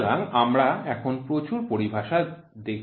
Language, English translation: Bengali, So, we are now seeing lot of terminologies